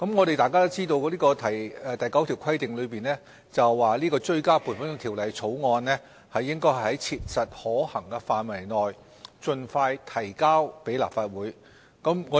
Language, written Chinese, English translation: Cantonese, 大家也知道，《條例》第9條規定追加撥款條例草案應該"在切實可行範圍內盡快提交立法會"。, As we all know section 9 of PFO stipulates that a Supplementary Appropriation Bill shall be introduced into the Legislative Council as soon as practicable